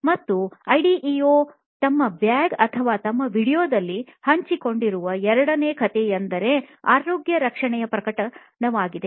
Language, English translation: Kannada, The second story that Ideo shared also on either their blog or their video is a case of again a health care case